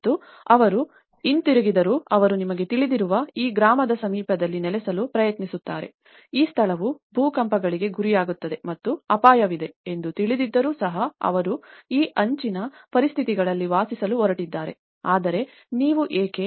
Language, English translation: Kannada, And they came back and they try to settle in the you know, vicinity of this village, despite of knowing that this place is prone to earthquakes and there is a danger, they are going to live on this edge conditions but still, why do you think that these people have come and stayed here back